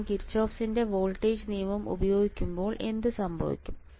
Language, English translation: Malayalam, When I use Kirchhoffs voltage law what will happen